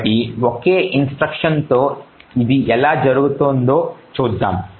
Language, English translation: Telugu, So, let us see how this happens with a single instruction, okay